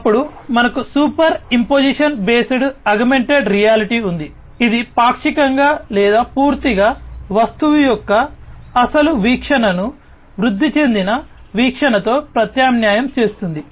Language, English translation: Telugu, Then we have the superimposition based augmented reality, which partially or, fully substitutes the original view of the object with the augmented view